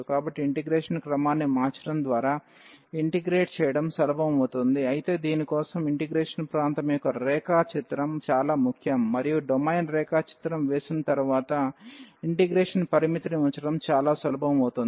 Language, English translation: Telugu, So, by changing the order of integration it becomes easier to integrate, but for that the sketching of the region of integration is very important and then putting the limit of the integration after sketching the domain it becomes much easier